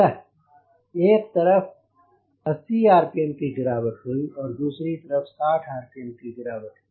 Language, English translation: Hindi, on one side it was a drop of eighty rpm and on the other side it was drop of sixty rpm